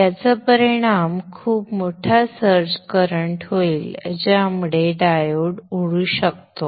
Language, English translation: Marathi, This will result in a very huge search current which may blow off the diodes